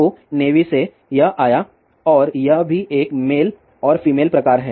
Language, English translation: Hindi, So, from the navy, it came and this one also has male and female type